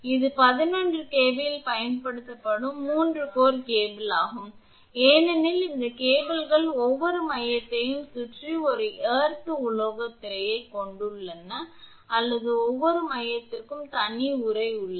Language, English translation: Tamil, This is the 3 core cable used at 11 kV because these cables have an earth metallic screen around each core and or have separate sheath for each core